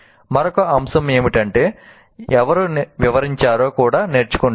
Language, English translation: Telugu, And another aspect is whoever explains also learns